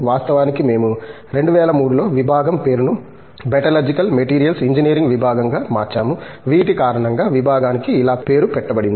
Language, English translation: Telugu, In fact, we even changed the name of the department in 2003 to Department of Metallurgical Materials Engineering which is what now the department is named after